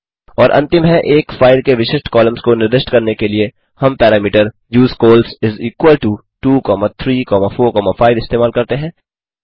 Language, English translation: Hindi, And the final one To specify the particular columns of a file, we use the parameter usecols is equal to 2,3,4,5